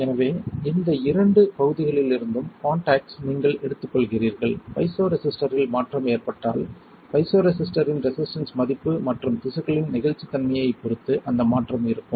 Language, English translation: Tamil, So, you take the contact from these two regions, when there is a change in the piezoresistor the resistance value of the piezoresistor and that change will be there depending on the elasticity of the tissue